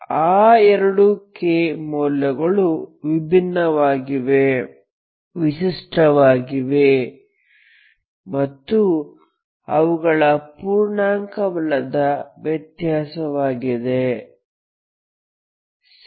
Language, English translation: Kannada, You will find two k values for which those two k values a different, they are distinct and their difference is non integer, okay